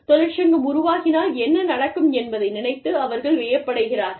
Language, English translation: Tamil, And, people are left wondering, as to, what will happen, if the union is formed